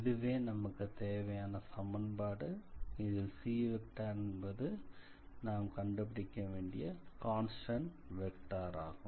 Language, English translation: Tamil, So, this is the required equation of the part where we have to determine this constant c